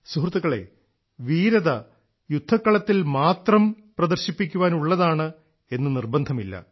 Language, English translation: Malayalam, it is not necessary that bravery should be displayed only on the battlefield